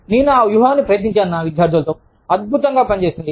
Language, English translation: Telugu, And, i have tried that strategy, with my students, works wonders